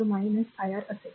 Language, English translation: Marathi, So, it will be positive so, v is equal to iR